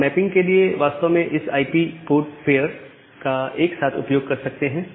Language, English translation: Hindi, Now, you can use this IP port pair actually together to make this mapping